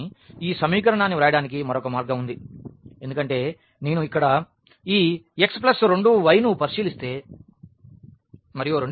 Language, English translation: Telugu, But, there is another way of writing this equation because, if I consider here this x plus 2 y and the second equation is x minus y